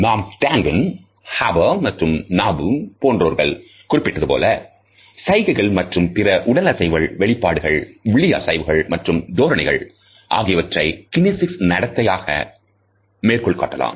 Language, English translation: Tamil, We can refer to Duncan as well as Harper and others and Knapp, who had enumerated gestures and other body movements, facial expressions, eye movements and postures as modalities of kinesic behavior